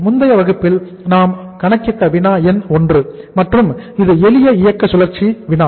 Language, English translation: Tamil, Problem number 1 we have done in the previous class and it is the problem of the simple operating cycle